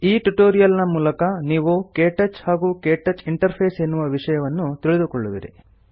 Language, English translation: Kannada, In this tutorial you will learn about KTouch and the KTouch interface